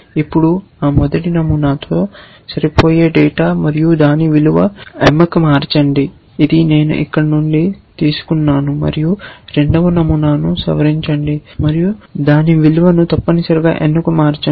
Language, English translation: Telugu, Now, the data matching that first pattern and change its value attribute to m, which is what I have taken from here and modify the second pattern and change its value attribute to n essentially